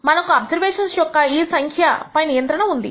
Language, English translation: Telugu, We have control over the of number of observations